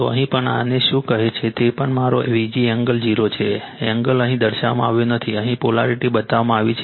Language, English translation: Gujarati, So, here also here also your what you call this is also my V g angle 0, angle is not shown here, polarity is shown here